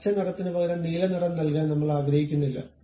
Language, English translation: Malayalam, I do not want to give green color a blue color